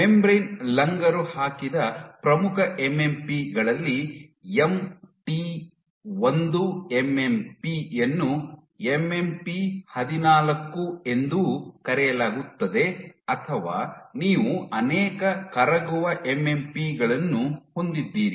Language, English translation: Kannada, One of the major MMPs which are membrane anchored is MT1 MMP is also referred to as MMP 14 or you have multiple soluble MMPs